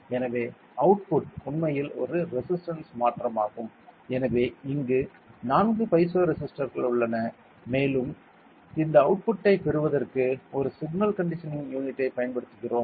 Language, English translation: Tamil, So, the output is a resistance change so there are four piezo resistors here and we will be using an so we will be using a signal conditioning unit to get this output ok